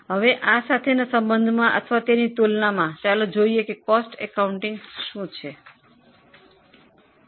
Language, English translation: Gujarati, Now in relation or in comparison with this, let us see what is cost accounting